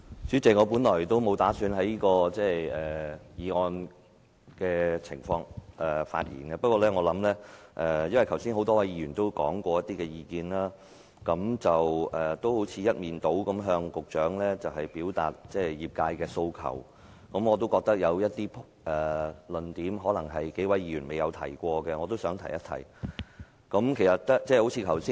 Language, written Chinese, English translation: Cantonese, 主席，我本來不打算就這項議案發言，不過因為剛才多位議員提出了一些意見，似乎一面倒地向局長表達業界的訴求，我有一些論點是沒有議員提出過的，所以想在此提一提。, President I originally did not intend to speak on this motion but since some views raised by a number of Members just now seemed to one - sidedly express the requests of the industry to the Secretary here I would like to bring up some arguments which no Member has mentioned